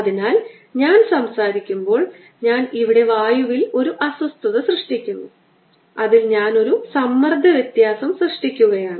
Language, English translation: Malayalam, when i am speaking, i am creating a disturbance in the air out here, in that i am creating a pressure difference